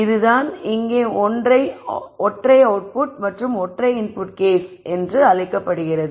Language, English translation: Tamil, This is what is called as a case of single input here and a single output